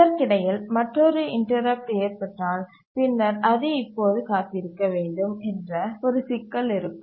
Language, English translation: Tamil, And in the mean while if another interrupt occurs, then there will be a problem